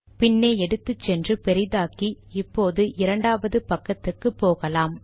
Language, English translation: Tamil, Lets take it back, make it bigger, lets go to the second page